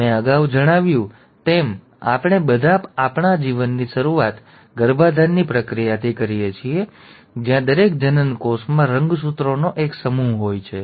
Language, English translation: Gujarati, As I mentioned, we all start our life through the process of fertilization where each gamete has one set of chromosomes